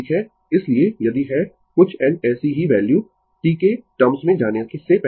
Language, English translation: Hindi, So, if you have some n such value before going to the in terms of T